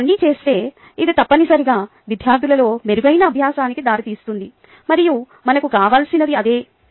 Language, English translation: Telugu, if you do all this, it essentially leads to improved learning in students, and thats what we are after